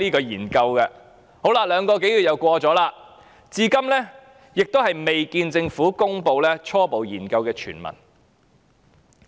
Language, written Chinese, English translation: Cantonese, 現在已過了兩個多月，至今仍未看到政府公布其初步研究的全文。, More than two months have passed and the Government has still not released the full text of its preliminary study